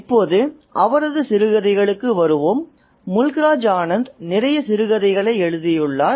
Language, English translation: Tamil, Now let's come to his short fiction and Mukrajan Harnan has written quite a lot of short stories as well